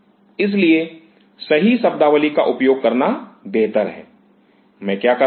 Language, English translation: Hindi, So, it is better to use the right terminology; what I am doing